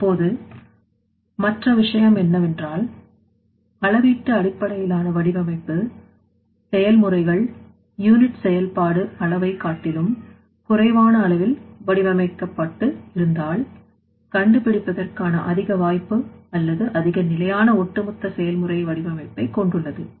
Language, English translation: Tamil, Now other thing is that scale based design if the processes are designed at a scale lower than the unit operation scale, there is an increased chance of finding or more sustainable overall process design